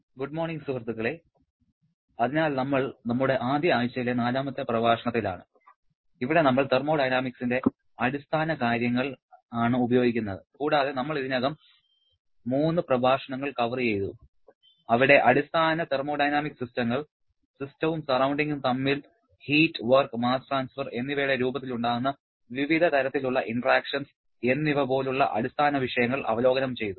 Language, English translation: Malayalam, Morning friends, so we are into the fourth lecture of our first week where we are using our basic fundamentals of thermodynamics and we have already covered 3 lectures where we have introduced or I should say we have reviewed most of the basic topics like basic thermodynamic systems, different kind of interactions the system and surrounding can have in the form of heat, work and mass transfer